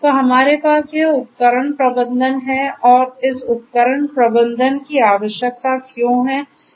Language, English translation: Hindi, So, we have this device management and why this device management is required